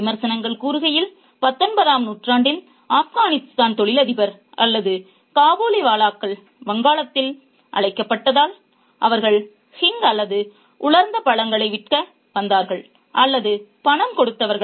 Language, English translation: Tamil, Critics suggest that in the 19th century, the Afghan businessman or the Kabiliwellers, as they were called in Bengal, came to sell hing or dry fruits or were money lenders